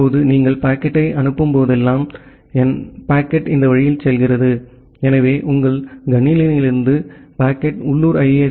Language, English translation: Tamil, Now, whenever you are forwarding the packet; so, the packet goes in this way so from your machine the packet goes to the local ISP